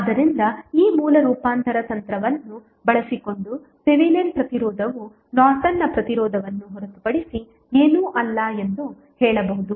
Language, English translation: Kannada, So, using this source transformation technique you can say that Thevenin resistance is nothing but Norton's resistance